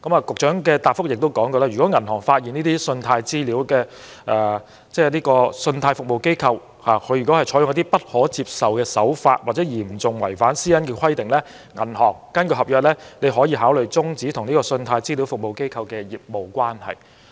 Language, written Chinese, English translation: Cantonese, 局長的答覆亦指出，如果銀行發現這些信貸資料服務機構採取一些不可接受或嚴重違反私隱規定的手法，可根據合約考慮終止與信貸資料服務機構的業務關係。, The Secretary also pointed out in his reply that a bank may consider whether to terminate its business relationship with a CRA if it is aware of unacceptable practices of CRA or serious breaches of the requirements of PDPO